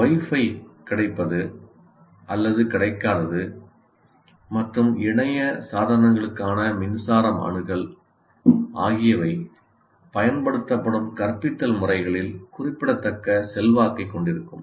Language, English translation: Tamil, And availability or non availability of Wi Fi and access to power for internet devices will have significant influence on the type of instructional methods used